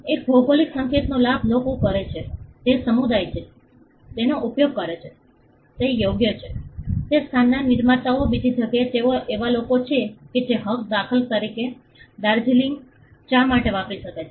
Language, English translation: Gujarati, The beneficiary of a geographical indication does of the people are the community which uses it is right, the producers from that place the other they are the people who can use that Right for instance Darjeeling tea